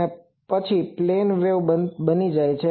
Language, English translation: Gujarati, And after that becomes a plane wave